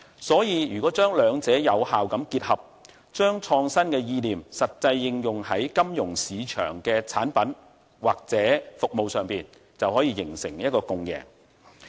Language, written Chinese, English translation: Cantonese, 所以，如果將兩者有效結合，將創新意念實際應用在金融市場的產品或服務上，便能夠形成共贏。, For that reason a win - win situation will be achieved if the two sectors are effectively combined and innovative ideas are applied to the products or services in the financial market